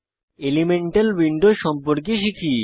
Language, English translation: Bengali, Now lets learn about Elemental window